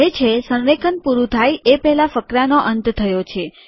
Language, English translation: Gujarati, It comes and says that paragraph ended before alignment was complete